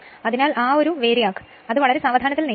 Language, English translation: Malayalam, So, that VARIAC you have to move it very slowly